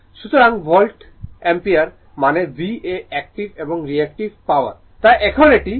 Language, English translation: Bengali, So, volt ampere means VA active and reactive power so now, this is your this thing